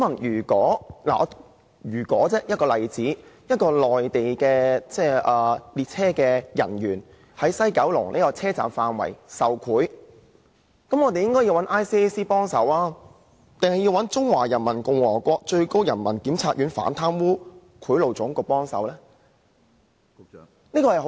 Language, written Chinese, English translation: Cantonese, 如果一名內地的列車職員在九龍總站範圍受賄，我想問局長，應該由 ICAC 處理，還是由中華人民共和國最高人民檢察院反貪污賄賂總局處理呢？, If a Mainland railway employee accepts bribes within the area of WKT can the Secretary tell me if the case should be handled by ICAC or the Anti - Corruption - and - Bribery Bureau of the Supreme Peoples Procuratorate of the Peoples Republic of China?